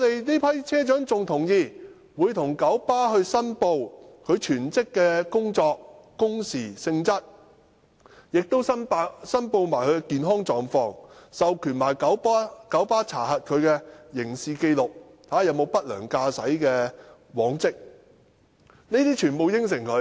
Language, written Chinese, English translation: Cantonese, 這批車長亦同意向九巴申報其全職工作的工時和性質，亦會申報他們的健康狀況，更授權九巴查核他們的刑事紀錄，看看他們有否不良駕駛的往績。, This group of bus captains also agreed to declare the working hours and nature of their full - time jobs to KMB . They would also declare their health condition and authorize KMB to check their criminal records to see whether they have any track records of poor driving